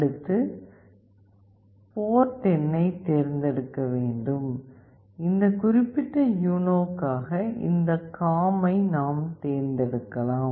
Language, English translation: Tamil, Next select the port number; we can select this COMM for this particular UNO